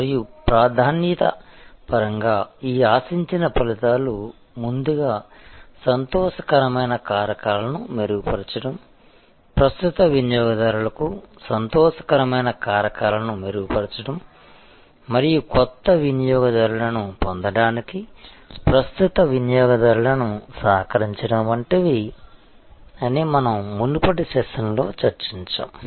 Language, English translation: Telugu, And we discussed in the previous session that this desired outcomes in terms of priority first is to enhance the delight factors, enhance delight factors for current customers and co opt current customers to acquire new customers